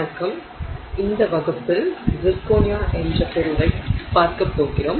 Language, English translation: Tamil, Hello, in this class we are going to look at the material zirconia